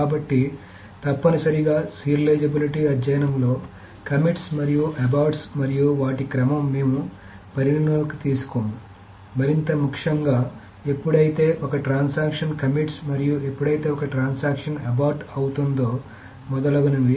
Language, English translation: Telugu, So essentially in the serializability study we did not take into account the commits and aborts and their order, more importantly, the order of when a transaction commits and when a transaction aborts, etc